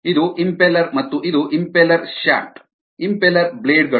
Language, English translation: Kannada, this is the impeller and this is ah impeller shaft, impeller blades